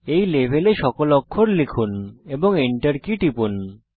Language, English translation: Bengali, Complete typing all the characters in this level and press the Enter key